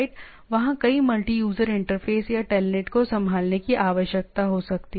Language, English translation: Hindi, There are there can be multiple multi user interface or telnet need to handle that